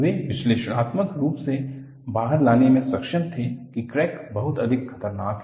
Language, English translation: Hindi, He was able to bring out analytically that crack is much more dangerous